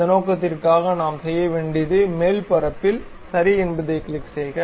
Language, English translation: Tamil, For that purpose what we have to do, click ok the surface